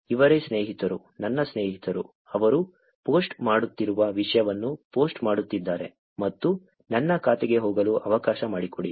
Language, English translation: Kannada, These are the friends, my friends are posting the content whatever they are posting and there are let me go to my account